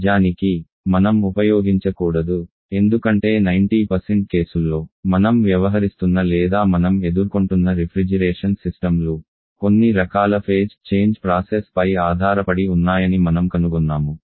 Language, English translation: Telugu, In fact, I should not use probably, because in 90% cases for you will find that the refrigeration systems that you are dealing with your experiencing is based upon some kind of phase change process